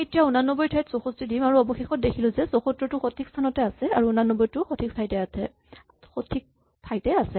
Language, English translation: Assamese, Now we put 64 where 89 is, and finally 74 is in the correct place and 89 is also in the correct place